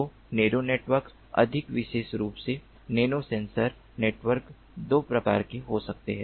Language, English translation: Hindi, so narrow networks, more specifically, nano sensor networks, can be of two types